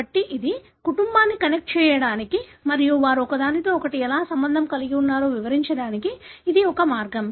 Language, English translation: Telugu, So this is, this is one way of connecting the family and explaining how they are related to each other